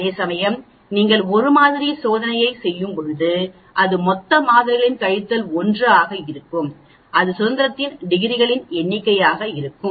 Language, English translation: Tamil, Whereas when you are doing a one sample t test it will be total number of samples minus 1, that will be the number of degrees of freedom